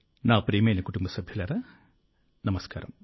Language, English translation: Telugu, My dear family members, Namaskar